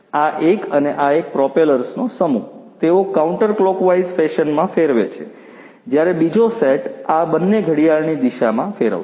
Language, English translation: Gujarati, One set of propellers this, this one and this one, they rotate in a counterclockwise fashion whereas, the other set these two would rotate in the clockwise fashion